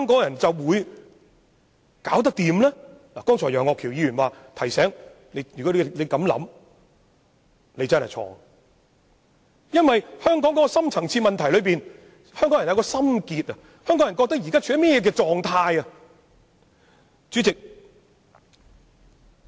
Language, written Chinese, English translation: Cantonese, 楊岳橋議員剛才已提醒我們，如有此想法便錯了，因為香港的深層次問題在於香港人的心結，在於他們對香港現狀的想法。, Mr Alvin YEUNG has just reminded us that you are wrong if you have this view because Hong Kongs deep - rooted problems lie in the hard feelings of Hong Kong people and in their opinion about Hong Kongs current situation